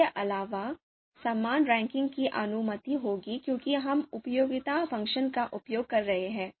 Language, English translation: Hindi, So, and also equal rankings would be permitted because we are using utility function